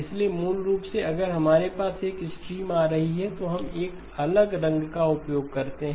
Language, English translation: Hindi, So basically if we had a stream coming in, we use a different colour